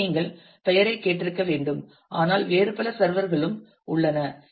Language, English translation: Tamil, So, which you must have heard the name of and there are, but there are several other servers as well